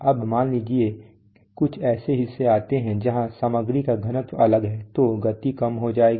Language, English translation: Hindi, Now suppose the, there is some parts come where the material density is different then the speed will fall, speed may fall